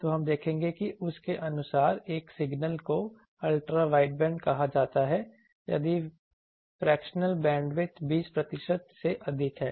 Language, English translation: Hindi, According to that a signal is called Ultra wideband, if the fractional bandwidth is greater than 20 percent